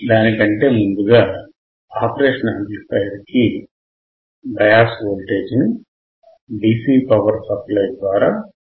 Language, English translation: Telugu, Before that, we have to apply the bias voltage to the operational amplifier which we will apply through the DC power supply